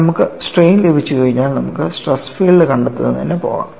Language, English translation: Malayalam, Once you get the strains, you can go for finding out the stress field